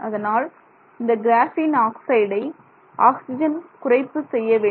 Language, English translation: Tamil, So, therefore we have to take this graphene oxide and reduce it